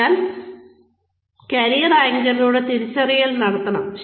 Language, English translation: Malayalam, So, the identification can be done, through the career anchors